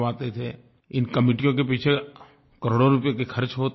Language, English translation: Hindi, Crores of rupees would be spent on these committees